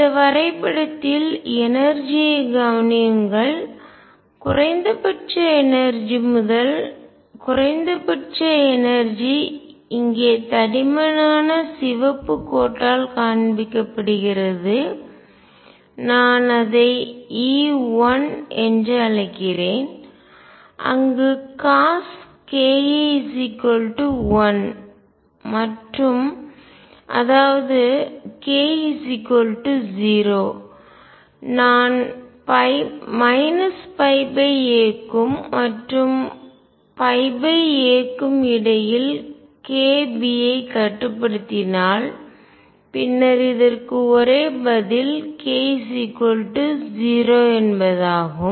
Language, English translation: Tamil, And energy is in this map notice that where the minimum of the energy first minimum exists right here the by shown by thick red line and I will call it E 1 there cosine of k a is equal to 1 and; that means, k equals 0, if I restrict myself with k b in between minus pi by a and pi by a then the only answer for this is k equals 0